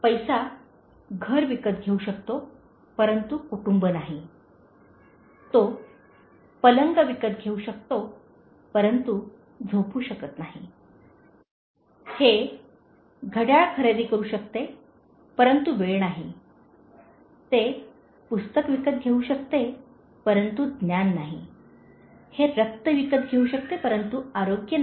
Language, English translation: Marathi, Money can buy a house but not a home, it can buy a bed but not sleep, it can buy a clock but not time, it can buy a book but not knowledge, it can buy blood but not health